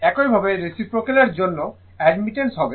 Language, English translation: Bengali, Similarly for reciprocal will be your admittance